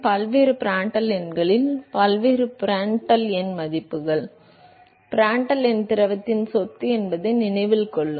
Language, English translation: Tamil, At various Prandtl numbers, various Prandtl number values So, note that Prandtl number is the property of the fluid